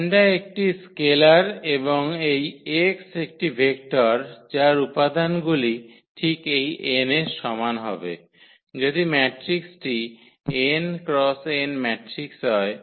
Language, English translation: Bengali, The lambda is a scalar and this x is a vector whose components will be exactly equal to this n, if the matrix is n cross n matrix